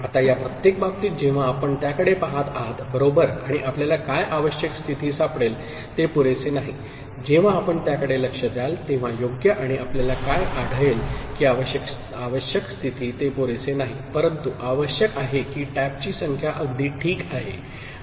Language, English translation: Marathi, Now, in each of these cases when you look at it right, and what you can find that the necessary condition it is not sufficient; when you look at it, right and what you can find that the necessary condition it is not sufficient, but it is required that number of taps are even ok